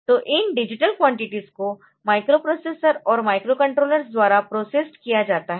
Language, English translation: Hindi, So, this digital quantities can be processed by microprocessors and microcontrollers